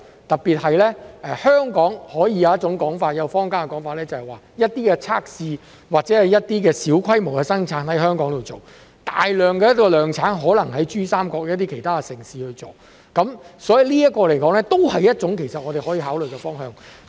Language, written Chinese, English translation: Cantonese, 特別是香港有一種說法，坊間的說法是一些測試或一些小規模的生產在香港進行，大量的量產可能在珠三角一些其他城市進行，這一亦是我們可以考慮的方向。, In particular there is an opinion in the Hong Kong community that some testing or some small - scale production can be done in Hong Kong while mass production may be done in some other cities in the Pearl River Delta . This is also a direction we can consider